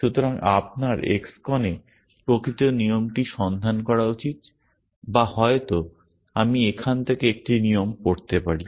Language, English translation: Bengali, So, you should look up the actual rule in X CON or maybe I can just read out a rule from here